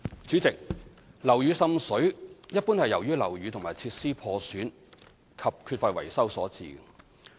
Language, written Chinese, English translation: Cantonese, 主席，樓宇滲水一般是由於樓宇和設施破損及缺乏維修所致。, President water seepage in buildings is generally caused by the defective fabric or installations of buildings and the lack of proper maintenance